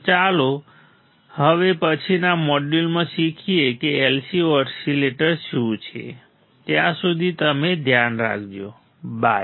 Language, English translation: Gujarati, So, let us learn in the next module what are the LC oscillators till then you take care bye